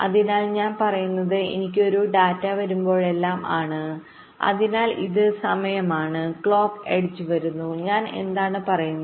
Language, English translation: Malayalam, so what i am saying is: whenever i have a data coming so this is time the clock edge is coming what i am saying: i must keep my data stable